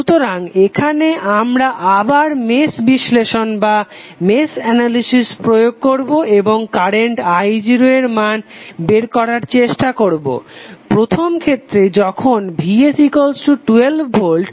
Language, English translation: Bengali, So here we will apply match analysis again and try to find out the current value I0 in first case that is when Vs is equal to 12 volt